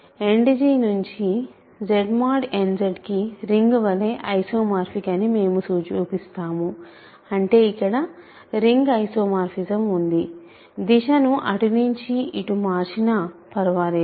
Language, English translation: Telugu, We show that Z End G is isomorphic to Z mod n Z as rings; that means, there is a ring homomorphism, ring isomorphism from let me reverse the direction does not matter